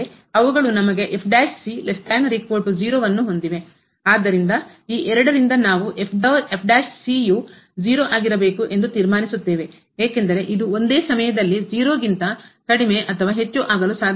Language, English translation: Kannada, So, out of these two we conclude that the prime has to be because it cannot be less than equal to or greater than equal to at the same time